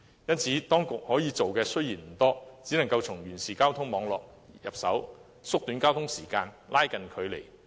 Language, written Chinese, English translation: Cantonese, 為此，當局可以做的不多，只能從完善交通網絡入手，縮短交通時間，拉近距離。, The authorities cannot do much in this respect apart from improving the transport network to shorten both the travel time and the distance concerned